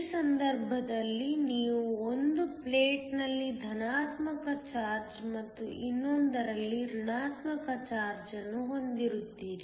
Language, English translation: Kannada, This case you have positive charge on one plate and the negative charge on the other